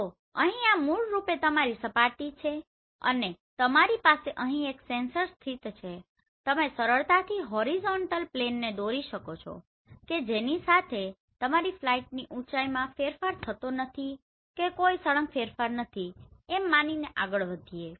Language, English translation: Gujarati, So here this is basically your surface and you have a sensor located here right and you can easily draw the horizontal plane along which your flight is moving assuming there is no change in the altitude sudden change in the altitude